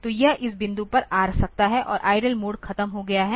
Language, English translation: Hindi, So, it can come to this point and the idle mode is over